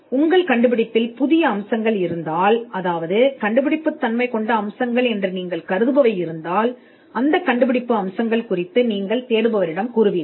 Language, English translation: Tamil, And if there are novel features of your invention, the features which you consider to be inventive, you would also tell the searcher that these are the inventive features